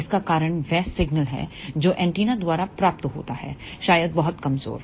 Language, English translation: Hindi, The reason for that is the signal which is received by the antenna, maybe very very weak